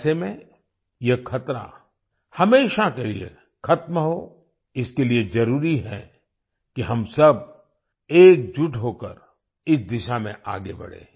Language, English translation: Hindi, In such a situation, for this danger to end forever, it is necessary that we all move forward in this direction in unison